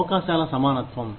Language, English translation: Telugu, Equality of opportunity